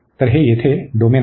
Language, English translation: Marathi, So, this is the domain here